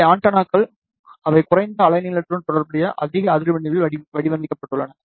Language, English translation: Tamil, And these are the antennas, which are designed at higher frequency corresponding to lower wavelength